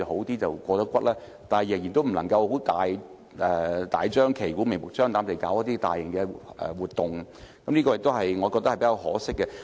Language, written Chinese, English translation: Cantonese, 但我們仍然不能大張旗鼓、明目張膽在大球場舉行大型活動，我覺得是比較可惜的。, Yet it is quite a pity that we still cannot hold large - scale activities at the stadium with a fanfare of publicity